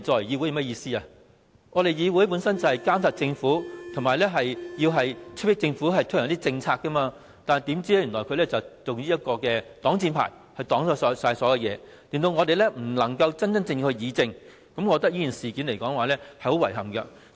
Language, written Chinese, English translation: Cantonese, 議會本來就是要監察政府及催迫政府推行政策，但政府卻以這個擋箭牌阻擋所有事，令我們不能真真正正議政，我認為這種做法令人很遺憾。, The Legislative Council should be responsible for monitoring the Government and urging the Government to implement policies but the Government has used LAB as a shield to block all proposals and prevent Members from serious discussing policies . I think such an approach is highly regrettable